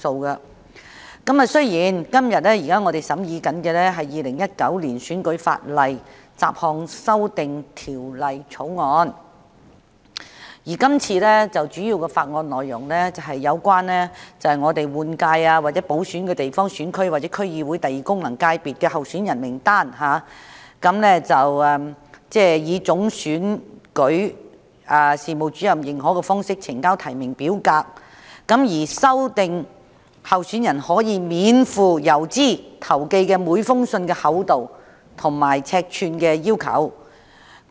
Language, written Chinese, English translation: Cantonese, 我們今天審議的是《2019年選舉法例條例草案》，主要是有關容許立法會換屆選舉或補選的地方選區或區議會功能界別候選人名單上的候選人以總選舉事務主任認可的方式呈交提名表格，以及修訂候選人可免付郵資投寄的每封信件的厚度及尺寸規定。, Today we are considering the Electoral Legislation Bill 2019 the Bill which mainly concerns allowing candidates on candidate lists of geographical constituencies or the District Council Second Functional Constituency in the Legislative Council general election or by - election to submit the nomination form in a way authorized by the Chief Electoral Officer and refining the requirement on thickness and size of each letter that may be sent free of postage by candidates